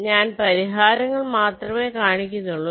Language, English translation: Malayalam, so i am showing the solutions only a